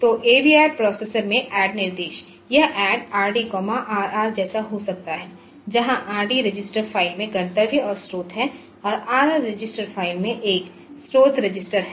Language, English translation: Hindi, So, the ADD instruction in this is a AVR processor so it may be like add R d comma R r, where R d is the destination and source in the register file, and R r is a source register in the register file